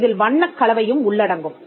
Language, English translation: Tamil, And it can also cover combination of colours